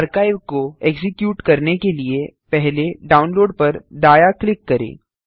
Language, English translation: Hindi, To extract the archive, first right click on the download